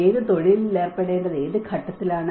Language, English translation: Malayalam, Which profession has to be engaged in what point